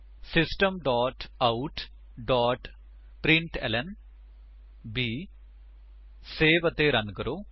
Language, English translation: Punjabi, System dot out dot println Save and Run